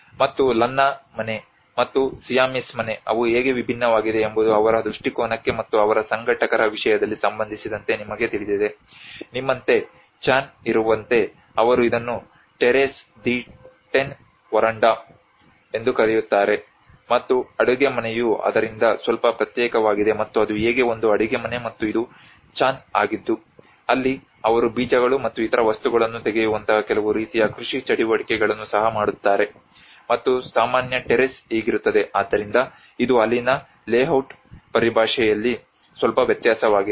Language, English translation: Kannada, And the Lanna house and the Siamese house how they differ you know in terms of their orientation, and in terms of their organizers, like you have the Chan they call it is the terrace the Tenn veranda and the kitchen has been little isolated from it and that is how this is a kitchen and this is a Chan where they do even some kind of agricultural activities like taking out the seeds and other things, and this is how the common terrace so this is a very slight difference in there in terms of the layout